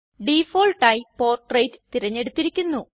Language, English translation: Malayalam, By default Portrait is selected